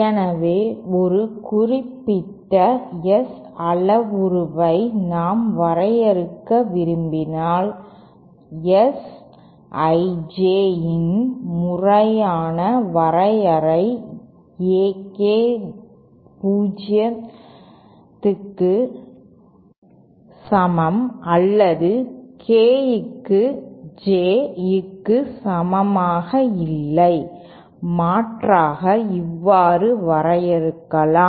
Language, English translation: Tamil, So if we want to define a particular S parameter then the definition the formal definition of S I J is with A K equal to 0 or K not equal to J, alternatively we can also define it as